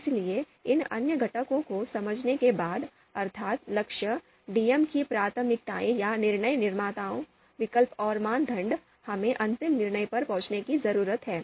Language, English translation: Hindi, And then the outcomes, so after understanding these other components, goal, preferences of DMs, alternatives and criteria, we need to arrive at a final decision